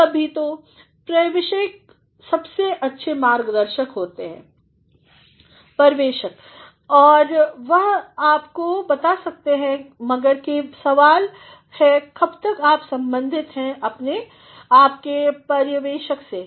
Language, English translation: Hindi, Sometimes, so, supervisors who are the best guides, they can also tell you, but the question is how long you are in association with your supervisor